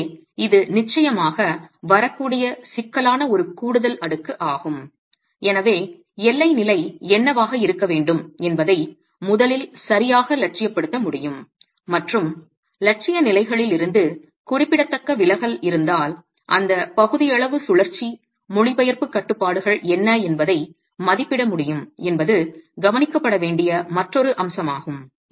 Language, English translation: Tamil, So, this is an additional layer of complexity that would definitely come in and therefore first being able to idealize rather correctly what the boundary conditions should be and if there is significant deviation from idealized conditions being able to estimate what those partial rotational translation restraints could be is the other aspect that needs to be looked at